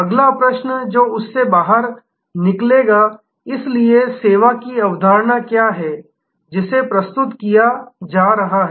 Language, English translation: Hindi, The next question that will emerge out of that therefore, what is the service concept, that is being offered